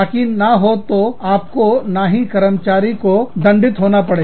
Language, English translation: Hindi, So, that neither you, nor the employee, is penalized